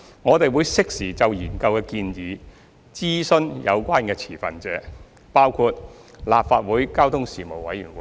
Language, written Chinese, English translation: Cantonese, 我們會適時就研究的建議諮詢有關持份者，包括立法會交通事務委員會。, We will consult relevant stakeholders including the Panel on Transport of the Legislative Council about the recommendations of the study in due course